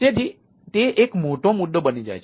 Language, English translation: Gujarati, so that is another problem